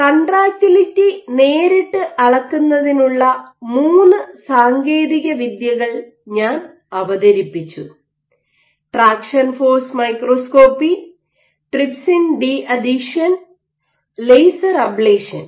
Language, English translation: Malayalam, However, a more direct approach of measuring contractility in that regard I introduced three techniques: traction force microscopy, trypsin de adhesion and laser ablation